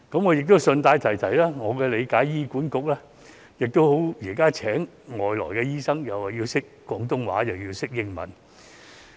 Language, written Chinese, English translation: Cantonese, 我亦順帶一提，以我所知，現時醫管局聘請海外醫生時，要求對方懂廣東話和英文。, I also wish to mention that as far as I know when the Hospital Authority recruits overseas doctors they are currently required to speak Cantonese and English